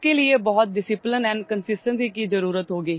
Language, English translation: Hindi, This will require a lot of discipline and consistency